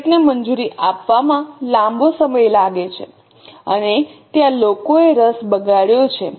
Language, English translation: Gujarati, It takes a long time to approve the budget and there may be a lot of people having wasted interests